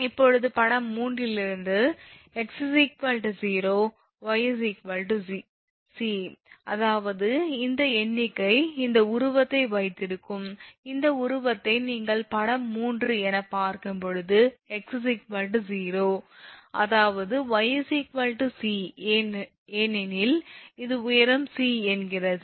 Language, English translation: Tamil, Now, from figure 3 when x is equal to 0, y is equal to c; that means, this figure if you look into these that just hold on this figure if you look into this that this is figure 3 when x is equal to 0, I mean then y is equal to c because this is the height c this is the origin say